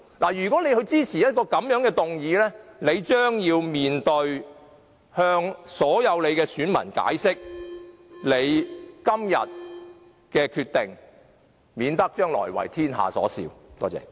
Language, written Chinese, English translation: Cantonese, 他們若支持這樣的修正案，將必須向其所有選民解釋今天所作的決定，免得將來為天下所笑。, If they support such an amendment they will have to explain to all electors their decision made today lest they will become the laughing stock of the whole world